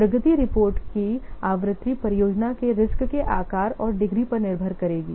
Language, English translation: Hindi, The frequency of progress reports will depend upon the size and degree of risk of the project